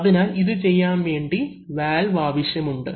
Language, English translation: Malayalam, So, for using doing these valves are required